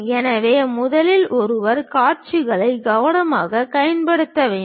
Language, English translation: Tamil, So, first of all, one has to visualize the views carefully